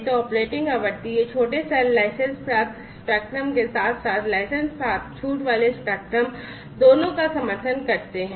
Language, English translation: Hindi, So, operating frequency you know these small cells support both licensed spectrum as well as licensed exempted spectrum